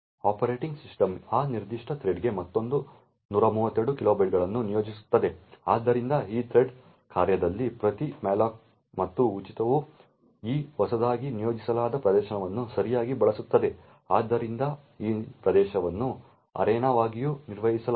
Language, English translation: Kannada, The operating system would then allocate another 132 kilobytes for that particular thread, so every malloc and free in this thread function will use this newly allocated region right, so this region is also managed as an arena